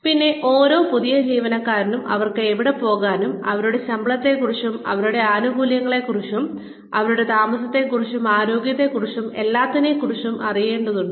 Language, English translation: Malayalam, Then, every new employee needs to know, where they can go to, find out more about their salary, about their benefits, about their emoluments, about accommodation, about health, about this and that